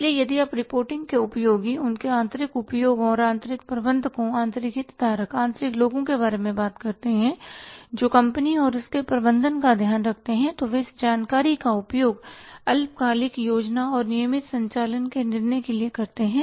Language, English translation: Hindi, So, if you talk about the uses of reporting their internal uses and internal managers, internal stakeholders, internal say people who take care of the company and its management, they use this information for the short term planning and controlling of the routine operations